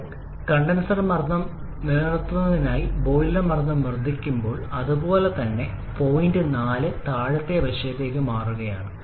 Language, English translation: Malayalam, As you are increasing the boiler pressure maintaining the condenser pressure the same, the point 4 is shifting inwards that is towards lower quality side